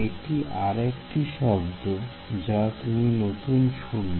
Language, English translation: Bengali, So, that is another word you will hear